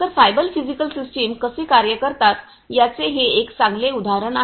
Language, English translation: Marathi, So, this is a this is a good example of how cyber physical systems work